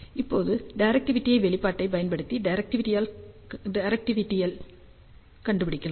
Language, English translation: Tamil, Now, we can use the directivity expression to find out the directivity